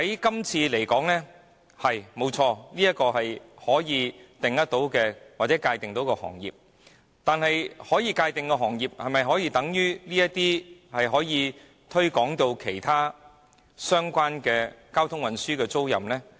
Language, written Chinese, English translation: Cantonese, 就這《條例草案》而言，飛機租賃確是可被界定的行業，但是，可被界定行業的範圍可會擴大至涵蓋其他相關的交通運輸租賃行業呢？, Aircraft leasing is indeed an industry that needs a definition under the Bill but will the scope of the definition be expanded to cover other relevant transport leasing industries?